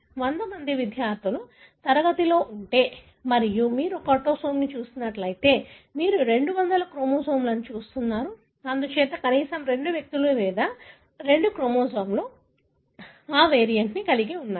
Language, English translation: Telugu, If there is a class of 100 students and if you are looking at an autosome, you are looking at 200 chromosomes, of which therefore at least 2 individuals or 2 chromosomes should carry that variant